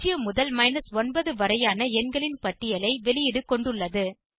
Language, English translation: Tamil, The output will consist of a list of numbers 0 through 9